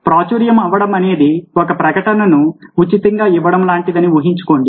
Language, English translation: Telugu, imagine: you are viral is like getting an advertisement free of cost